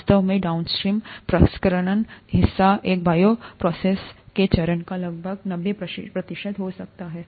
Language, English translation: Hindi, In fact, the downstream processing part could have about 90 percent of the steps of this bioprocess